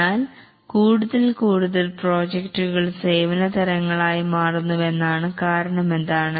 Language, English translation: Malayalam, But now more and more projects are becoming services type of projects